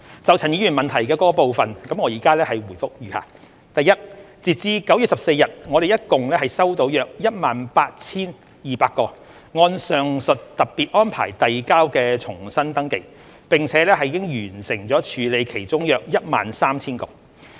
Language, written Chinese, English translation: Cantonese, 就陳議員質詢的各部分，我現答覆如下：一截至9月14日，我們合共收到約 18,200 個按上述特別安排遞交的重新登記，並已完成處理其中約 13,000 個。, My reply to the various parts of the question raised by Mr CHAN is as follows 1 As at 14 September we have received a total of about 18 200 registrations resubmitted under the above special arrangement and have processed about 13 000 of them